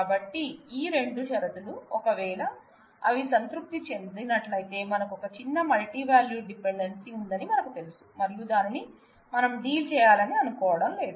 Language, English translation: Telugu, So, these are the two conditions, if they satisfy then we know that we have a trivial multi value dependency and we do not want to deal with that